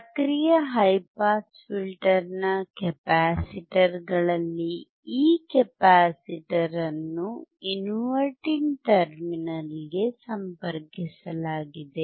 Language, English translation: Kannada, At the capacitors of the active high pass filter, this capacitor is connected to the resistors connected to the inverting terminal